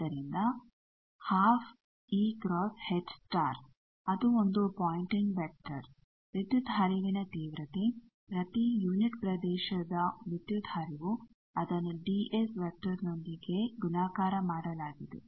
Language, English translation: Kannada, So, half e cross h star that is the pointing vector it is a power intensity power flow per unit area that dotted with the ds vector